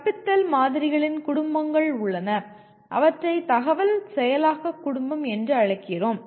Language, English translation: Tamil, There are families of teaching models, what we call information processing family